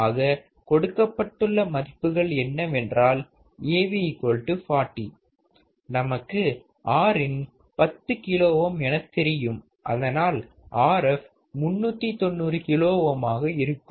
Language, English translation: Tamil, So, given Av equals to 40 we know that Av the gain is nothing but 1 plus Rf by Rin or 40 equals to 1 plus Rf by Rin, Rin is 10 kilo ohm, so Rf can be 390 kilo ohm